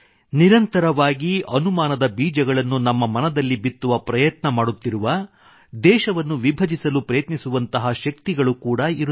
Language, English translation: Kannada, Although, there have also been forces which continuously try to sow the seeds of suspicion in our minds, and try to divide the country